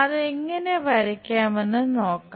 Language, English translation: Malayalam, Let us look at how to draw that